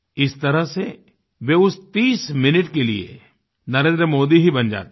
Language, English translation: Hindi, In this way for those 30 minutes they become Narendra Modi